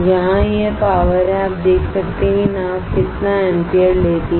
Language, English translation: Hindi, Is the power here you can see the how much ampere the boat is drawing alright